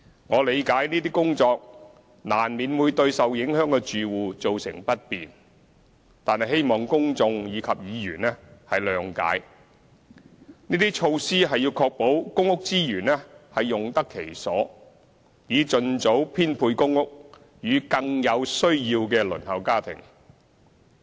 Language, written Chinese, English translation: Cantonese, 我理解這些工作難免會對受影響的住戶造成不便，但希望公眾及議員諒解，這些措施是要確保公屋資源用得其所，以盡早編配公屋予更有需要的輪候家庭。, While I appreciate the inconvenience inevitably caused to the affected households due to these work initiatives I hope Members and the public can understand that these measures are put in place to ensure the proper use of public housing resources and the expeditious allocation of PRH units to family applicants more in need